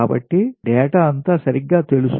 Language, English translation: Telugu, so all data are known, right